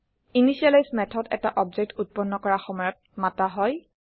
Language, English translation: Assamese, An initialize method is called at the time of object creation